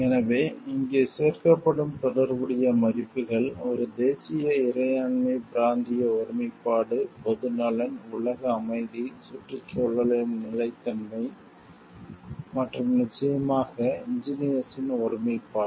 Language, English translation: Tamil, So, the relevant values which will be included over here, a national sovereignty territorial integrity public welfare, world peace, sustainability of the environment and of course, integrity of the engineer